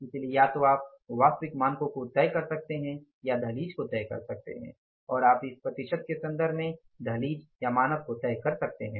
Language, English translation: Hindi, So, you can either fix up the absolute standards or threshold levels or you can in terms of the percentage you can fix up the rule of thumb standard or the threshold level